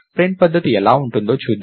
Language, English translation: Telugu, Lets see how a print method would look like